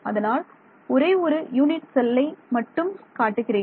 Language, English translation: Tamil, So, it is a repeating grid I am just showing one unit cell ok